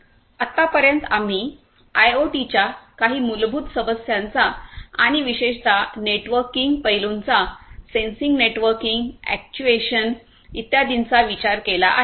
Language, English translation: Marathi, So, so far what we have done is we have looked into some of the fundamental issues of IoT and particularly concerning the networking aspects, the sensing networking actuation and so on